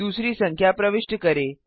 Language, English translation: Hindi, Let us enter another number